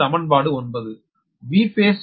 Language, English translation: Tamil, this is equation eight